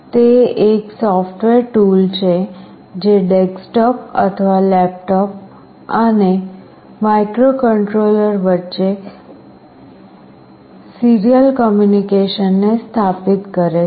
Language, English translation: Gujarati, It is a software tool that enables serial communication between a desktop or a laptop and the microcontroller